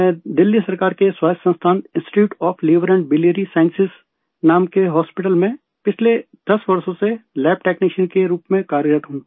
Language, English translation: Hindi, I have been working as a lab technician for the last 10 years in the hospital called Institute of Liver and Biliary Sciences, an autonomus institution, under the Government of Delhi